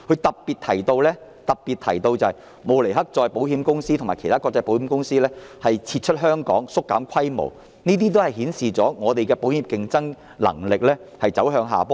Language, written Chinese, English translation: Cantonese, 當中特別提到，慕尼黑再保險公司及其他國際保險公司已撤出香港或縮減在香港的規模，顯示香港保險業的競爭能力走向下坡。, In particular Munich Reinsurance Company and other international insurance companies had withdrawn from Hong Kong or reduced their scales of operation in Hong Kong . These incidents indicated that the insurance industry of Hong Kong was going downhill